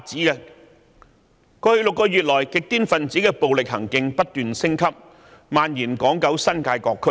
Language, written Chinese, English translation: Cantonese, 在過去6個月，極端分子的暴力行徑不斷升級，並蔓延至港九新界各區。, In the past six months the violent acts of extreme elements have continued to escalate and spread to all districts in Hong Kong Kowloon and the New Territories